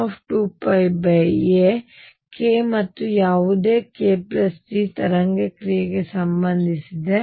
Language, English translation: Kannada, So, k and any k plus G are equivalent as far as the wave function is concerned